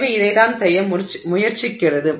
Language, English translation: Tamil, So, this is what it what it is trying to do